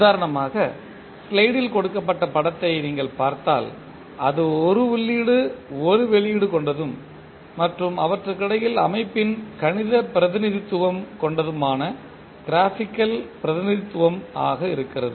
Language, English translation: Tamil, For example, if you see the figure shown in the slide it is a graphical representation of the system which has one input and the output and in between you have the mathematical representation of the system